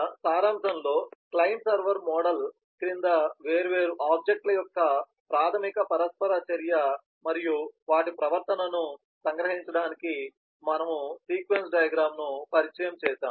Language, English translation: Telugu, in summary, we have introduced sequence diagram to capture the basic interaction of different objects and their behaviour under the client server model